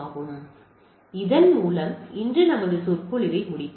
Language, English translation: Tamil, So, with this let us conclude our lecture today